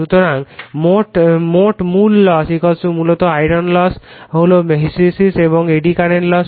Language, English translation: Bengali, So, total core losses = basically iron loss is this is the hysteresis and eddy current losses